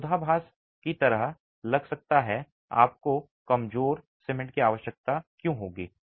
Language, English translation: Hindi, It may sound like a paradox why would you need weak cement